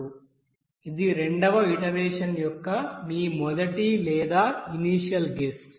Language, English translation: Telugu, 5402 it will be your first or initial guess of that second iteration